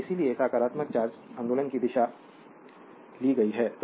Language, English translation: Hindi, So, that is why is taken has direction of the positive charge movement